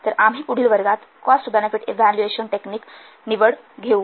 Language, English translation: Marathi, Then we have to select a cost benefit evaluation technique